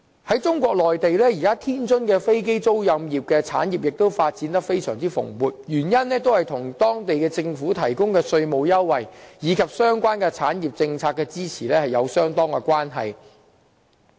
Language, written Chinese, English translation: Cantonese, 在中國內地，現時天津的飛機租賃產業亦發展得非常蓬勃，原因在於當地政府提供的稅務優惠，以及推行政策支持相關產業。, As regards the situation in China Tianjins aircraft leasing industry has been thriving for the time being thanks to the tax concession offered by the local government in tandem with the policy in place to provide necessary support